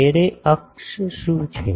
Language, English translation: Gujarati, What is the array axis